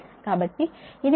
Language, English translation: Telugu, this is your reference line